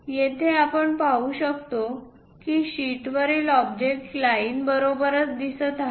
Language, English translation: Marathi, Here, we can see that the object on the sheet looks like that with lines